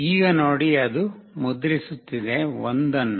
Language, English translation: Kannada, Now see, it is printing 1